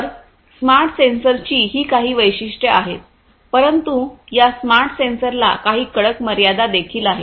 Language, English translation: Marathi, So, these are some of these different features of the smart sensors, but these smart sensors have severe limitations